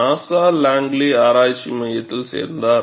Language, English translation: Tamil, Then, he carried on; he joined NASA Langley research center